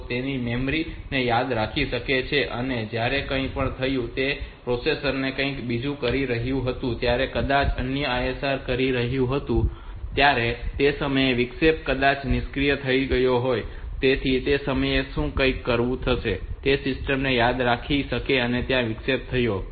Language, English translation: Gujarati, Memory so whether they rem whether they can remember that something has happened so when the processor was doing something else maybe another ISR at that time the interrupt were disabled maybe, so at that time something has happened whether the system can remember that they are there is this interrupt has occurred